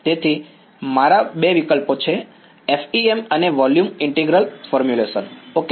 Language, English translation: Gujarati, So, my two options are FEM and volume integral formulation ok